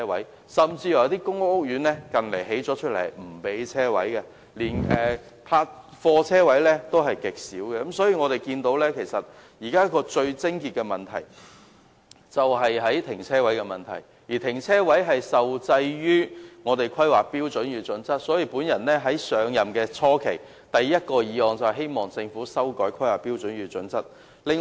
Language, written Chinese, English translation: Cantonese, 一些近年落成的公屋甚至不提供車位，連貨車車位也極少，可見現時問題的癥結是泊車位的問題，而泊車位受制於《香港規劃標準與準則》，所以我在上任議員初期提出的第一項議案，便是希望政府修改《香港規劃標準與準則》。, Some public rental housing estates completed in recent years do not even provide parking spaces and parking spaces for goods vehicles are also extremely limited . It is thus apparent that the crux of the problem lies with parking spaces and parking spaces are regulated under the Hong Kong Planning Standards and Guidelines . Hence the first motion I moved after I became a Legislative Council Member is to urge the Government to update the Hong Kong Planning Standards and Guidelines